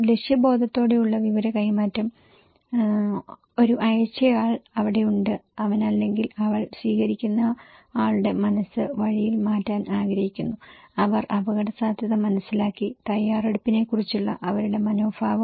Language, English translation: Malayalam, So, purposeful exchange of information, so one sender is there and he would like to he or she would like to change the mind of the receiver in the way, they perceived the risk, their attitude about preparedness